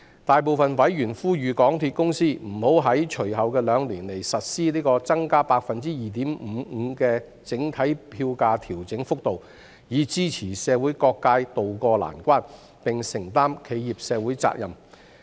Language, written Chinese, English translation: Cantonese, 大部分委員呼籲港鐵公司不要在隨後兩年實施 +2.55% 的整體票價調整幅度，以支持社會各界渡過難關，並承擔企業社會責任。, Most members called on MTRCL not to recoup the overall fare adjustment rate 2.55 % in the subsequent two years to support the community during difficult times and shoulder its corporate social responsibility